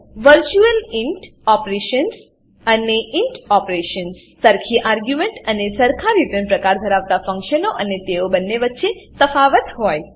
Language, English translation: Gujarati, virtual int operations () and int operations () functions with the same argument and same return type and difference between both